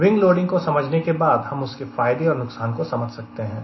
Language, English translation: Hindi, once we understand how to visualize wing loading is plus or advantages and disadvantages